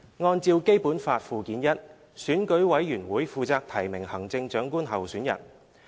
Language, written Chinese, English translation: Cantonese, 按照《基本法》附件一，選舉委員會負責提名行政長官候選人。, In accordance with Annex I to the Basic Law candidates for the office of Chief Executive shall be nominated by EC